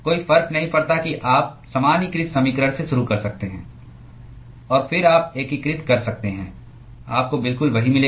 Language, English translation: Hindi, You can start from the generalized equation, and then you can integrate you will get exactly the same